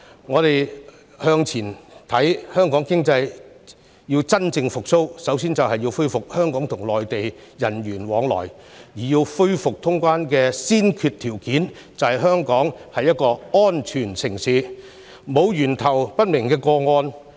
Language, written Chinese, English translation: Cantonese, 展望未來，香港經濟要真正復蘇，首先要恢復香港和內地人員往來；而恢復通關的先決條件，便是香港是一個安全城市，沒有源頭不明的個案。, Looking to the future if Hong Kongs economy is to truly recover the first step is to restore people flow between Hong Kong and the Mainland . The prerequisite for resuming normal traveller clearance is that Hong Kong must be a safe city without any cases of unknown origin